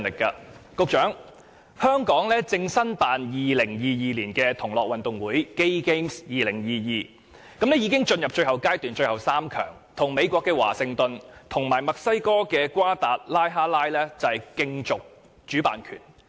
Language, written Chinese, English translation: Cantonese, 局長，香港正申辦2022年的同樂運動會，已經進入最後階段，成為最後3強，與美國的華盛頓和墨西哥的瓜達拉哈拉競逐主辦權。, Secretary Hong Kong is bidding to host the Gay Games 2022 and is now one of the three finalists competing against Washington DC of the United States and Guadalajara of Mexico